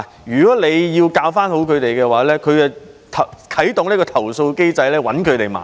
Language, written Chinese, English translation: Cantonese, 如果他們要教導學生，學生便會啟動投訴機制，找老師麻煩。, When teachers wanted to teach their students the latter would lodge a case to the complaint mechanism and get the teachers into trouble